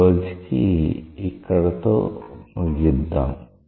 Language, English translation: Telugu, So, we stop here today